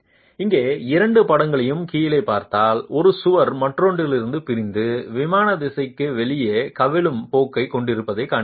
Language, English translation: Tamil, And if you see the two pictures here at the bottom, you see that there is one wall separating off from the other and having a tendency to overturn in the out of plane direction